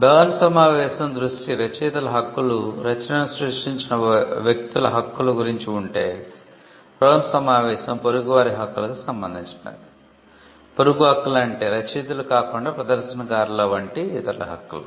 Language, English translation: Telugu, While the focus of the Berne convention was rights of the authors the people who created the work, the Rome convention pertain to neighbouring rights; neighbouring rights meaning the rights of those other than the authors say the performer’s rights